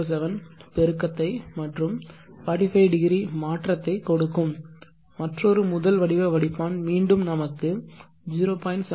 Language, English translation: Tamil, 707 and 45° shift another first order filter will give again a 0